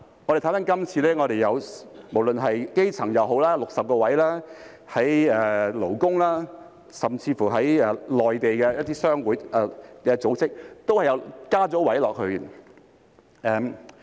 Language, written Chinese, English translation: Cantonese, 我們看回今次的修訂，基層界別有60個席位，而勞工甚至一些內地商會組織都有增加席位。, Let us take a look at the amendments proposed now . There will be 60 seats for the grassroots sector and the number of seats will increase for labour and even chambers of commerce and organizations in the Mainland